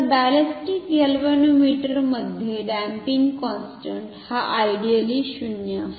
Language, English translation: Marathi, So, in a ballistic galvanometer the damping constant is 0 ideally ok